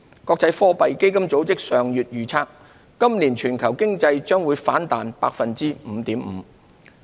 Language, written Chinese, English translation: Cantonese, 國際貨幣基金組織上月預測今年全球經濟將反彈 5.5%。, Last month IMF forecast that the global economy will rebound by 5.5 % this year